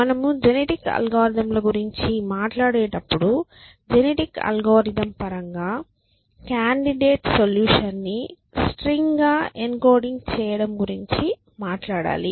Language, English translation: Telugu, So, when we talk about genetic algorithms we have to talk about encoding candidate solution as a string in terms of genetic algorithm